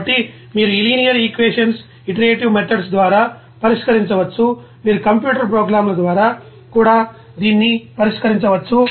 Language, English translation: Telugu, So, in that way you can solve these linear equations by iterative methods, even you can solve this by of you know computer programs there